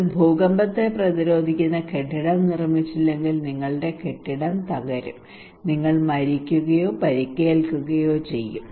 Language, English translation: Malayalam, If you do not prepare built with earthquake resistant building your building will collapse, you will die or injure